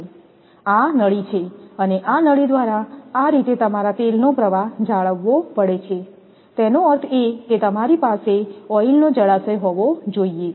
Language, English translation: Gujarati, This is the duct and through this duct this oil way your oil flow have to be maintained; that means, you have to have a reservoir for oils